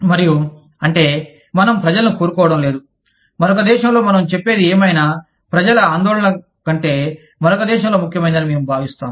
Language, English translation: Telugu, And that is, that we do not want people, in another, we feel that, whatever we are saying, is more important than, the concerns of people, in another country